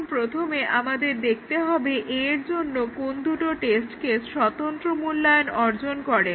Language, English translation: Bengali, Now, we have to first check which two test cases achieve the independent evaluation of A